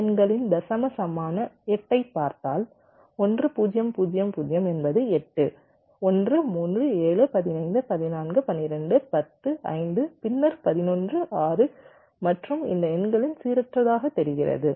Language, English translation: Tamil, and if you look at the decibel equivalent of this numbers, eight, one zero, zero zero is eight one, three, seven, fifteen, fourteen, twelve, ten, five, ah, then eleven, six or so on, these numbers look random